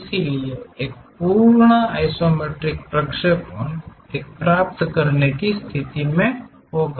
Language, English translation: Hindi, So, that a complete isometric projection one will be in a position to get